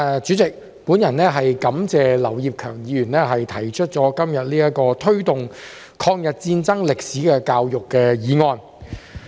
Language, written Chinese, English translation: Cantonese, 主席，我感謝劉業強議員今天提出"推動抗日戰爭歷史的教育"議案。, President I thank Mr Kenneth LAU for proposing the motion on Promoting education on the history of War of Resistance against Japanese Aggression today